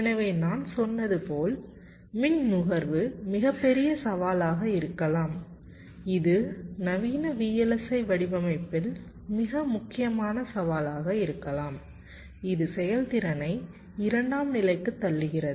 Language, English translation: Tamil, so, as i said, power consumption is ah very big challenge, perhaps the most important challenge in modern day vlsi design, which is pushing performance to a secondary level